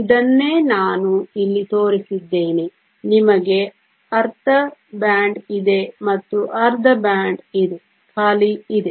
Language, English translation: Kannada, This is the same thing I have shown here you have a half a band there is full and half a band, there is empty